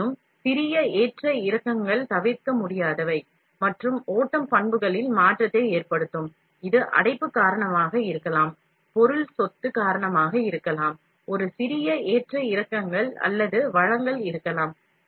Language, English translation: Tamil, However, small fluctuations are inevitable and will cause change in the flow characteristics, this can be because of clogging this, can be because of the material property, there can be a small fluctuations, or the supply